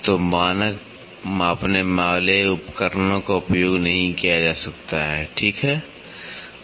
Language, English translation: Hindi, So, the standard measuring devices cannot be used, ok